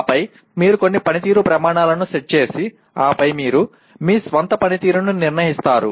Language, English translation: Telugu, And then you set some performance criteria and then you judge your own performance